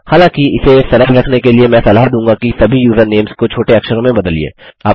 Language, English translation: Hindi, However, to keep it simple I would recommend that you convert all usernames into lowercase